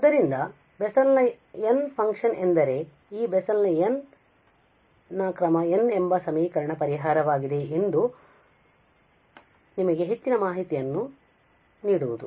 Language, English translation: Kannada, So, the Bessel functions is just to give you more information that this Bessel's function is the solution of so the so called Bessel's equation of order n